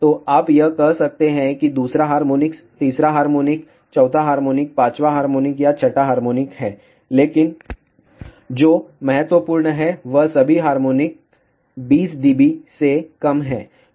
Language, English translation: Hindi, So, this you can say is second harmonic, third harmonic, fourth harmonic, fifth harmonic, sixth harmonic, but what is important is all the harmonics are less than 20 db